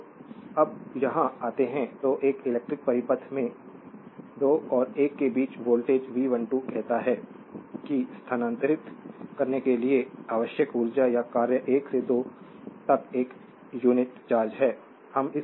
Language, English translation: Hindi, Therefore when you come here thus the voltage V 12 between 2 points say 1 and 2 in an electric circuit is that energy or work needed to move, a unit charge from 1 to 2